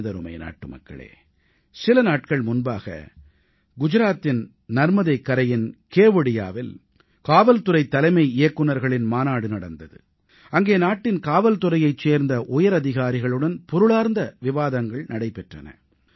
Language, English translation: Tamil, My dear countrymen, a few days ago, a DGP conference was held at Kevdia on the banks of Narbada in Gujarat, where the world's highest statue 'Statue of Unity' is situated, there I had a meaningful discussion with the top policemen of the country